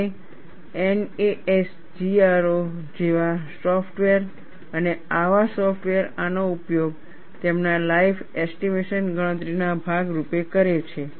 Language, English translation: Gujarati, People have embedded that, and the softwares like Nasgro and such softwares, use this as part of their life estimation calculation